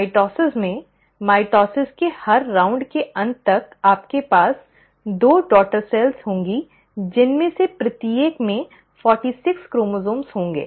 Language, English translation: Hindi, So in mitosis, by the end of every round of mitosis, you will have two daughter cells, each one of them containing forty six chromosomes